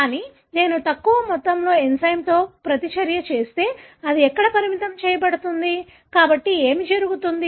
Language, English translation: Telugu, But, if I do the same the reaction with little amount of enzyme, where it is limiting, so what would happen